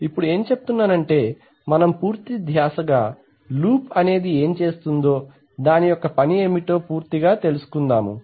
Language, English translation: Telugu, Now what are we saying now we will concentrate on what the loop is going to do, what is the job of the loop